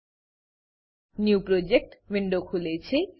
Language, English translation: Gujarati, A New Project window opens up